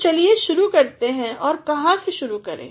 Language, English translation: Hindi, So, let us begin and how to begin